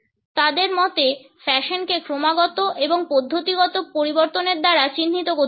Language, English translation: Bengali, According to them fashion has to be characterized by continual and systematic change